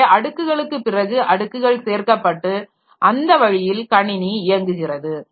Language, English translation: Tamil, So, layers after layers are getting added and that way the system is operating